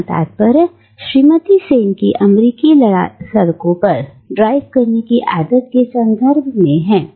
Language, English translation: Hindi, So references to Mrs Sen’s inability to drive on American roads